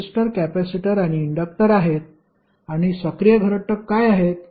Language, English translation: Marathi, These are resistors, capacitors and inductors and what are the active elements